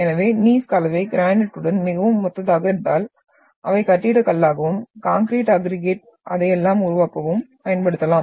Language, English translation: Tamil, So if the composition of the Gneiss is very much similar to granite then they can be used as building stone, for making concrete aggregates and all that